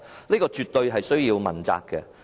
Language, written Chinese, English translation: Cantonese, 這絕對需要問責。, They must all be held accountable